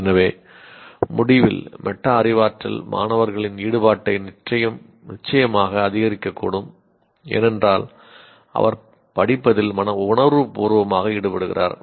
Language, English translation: Tamil, So in conclusion, metacognition can increase student engagement, certainly, because he is consciously getting engaged with what he is studying